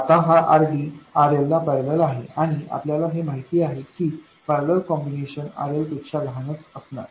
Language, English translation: Marathi, Now this RD has appeared in parallel with RL and you know that the parallel combination is going to be smaller than RL